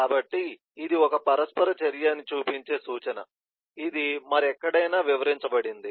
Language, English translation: Telugu, this is a reference showing that this is an interaction which is detailed somewhere else